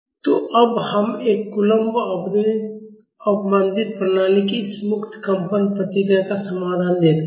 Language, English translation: Hindi, So, now let us see the solution of this free vibration response of a coulomb damped system